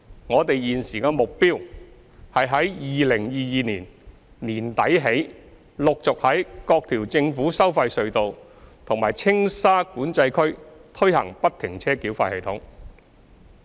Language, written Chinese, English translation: Cantonese, 我們現時的目標，是於2022年年底起陸續在各條政府收費隧道和青沙管制區推行不停車繳費系統。, Our present target is to gradually implement FFTS at various government tolled tunnels and TSCA from late 2022 onwards